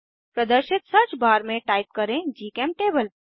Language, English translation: Hindi, In the search bar that appears type gchemtable